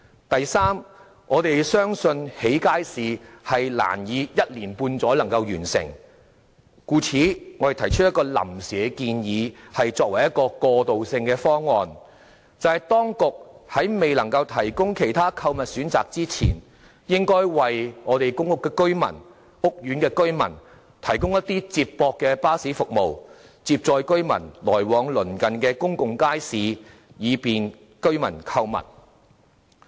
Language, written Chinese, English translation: Cantonese, 第三，我們相信興建街市難於一年半載內完成，故此我們提出一項臨時建議作為過渡性方案，便是當局在未能夠提供其他購物選擇前，應為公屋及屋苑居民提供接駁巴士服務，接載居民來往鄰近的公眾街市，以便居民購物。, Third we believe it is difficult to complete the construction of public markets in a short period of time . Therefore we have proposed a temporary plan as a transitional measure that is before the authorities can offer other shopping options to provide residents in public housing estates with shuttle bus services to transport them to and from nearby public markets for their convenient shopping